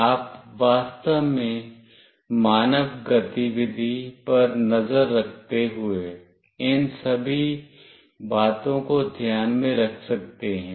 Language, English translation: Hindi, You can actually take all these things into consideration while tracking human activity